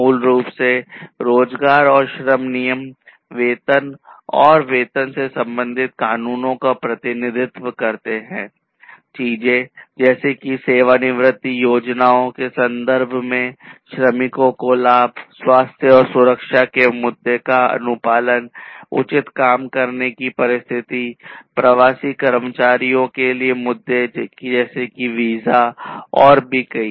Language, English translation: Hindi, So, basically the employment and labor rules represent laws concerning wages and salaries, things such as benefits to the workers in terms of retirement plans, compliance with health and safety issues, proper working conditions, issues of expatriate employees such as visas and so on